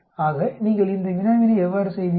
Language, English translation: Tamil, So how do you do this problem, CHITEST